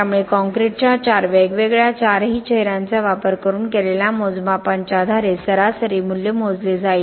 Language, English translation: Marathi, So the mean value will be calculated based on the measurements using these four different, all four faces of the concrete